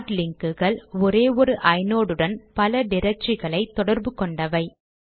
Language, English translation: Tamil, Hard links are to associate multiple directory entries with a single inode